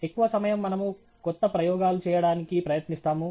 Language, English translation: Telugu, Most of the time we are trying to do new experiments